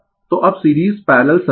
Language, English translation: Hindi, So, now, series parallel circuit so,